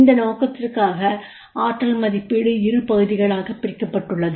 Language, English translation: Tamil, For this purpose, what is the potential appraisal is divided into two parts